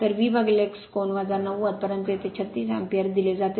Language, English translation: Marathi, So, V upon X angle minus ninety, but at is given 36 ampere